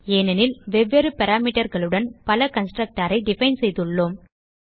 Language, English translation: Tamil, This is simply because we have define multiple constructor with different parameters